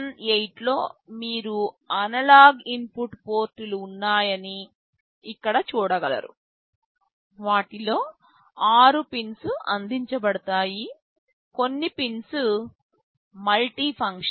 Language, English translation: Telugu, In CN8 you will see there are the analog input ports, six of them are provided some of the pins are multifunctional